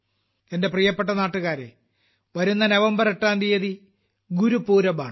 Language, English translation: Malayalam, My dear countrymen, the 8th of November is Gurupurab